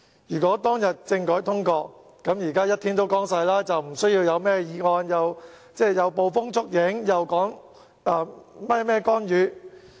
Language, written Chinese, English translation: Cantonese, 如果當日政改方案獲得通過，現在就會雨過天晴，不需要提出議案、捕風捉影或說甚麼干預。, If the constitutional reform package was passed at that time the sun would shine again after the rain . It is no long necessary to propose this motion make groundless accusations or talk about intervention